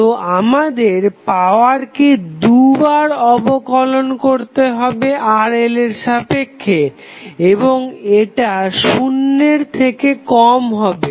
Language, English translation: Bengali, So, what we have to do we have to double differentiate the power with respect to Rl and will prove that it is less than 0